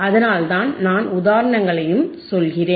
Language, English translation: Tamil, That is why, I also tell you the examples